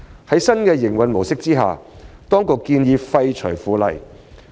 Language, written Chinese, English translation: Cantonese, 在新的營運模式下，當局建議廢除《附例》。, The authorities have proposed to repeal the Bylaw under the new mode of operation